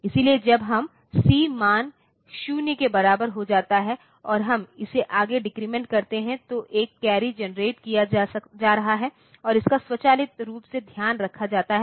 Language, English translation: Hindi, So, when this C value becomes equal to 0, and we decrement it further, then a carry is being generated and it is automatically taken care of